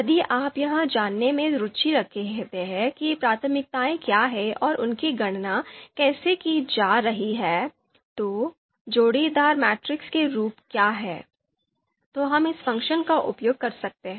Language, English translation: Hindi, So if you are just interested in finding out what are the priorities and how they are being computed, what are the you know form the pairwise matrix, then we can use this function